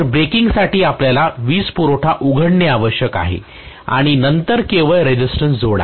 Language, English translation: Marathi, So for the braking you need to open out the switch open out the power supply and then only connect a resistance